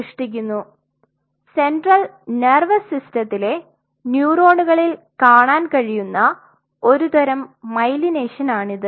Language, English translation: Malayalam, So, this is a form of myelination what you see in the central nervous system neuron